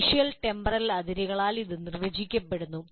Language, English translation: Malayalam, It is delineated by spatial and temporal boundaries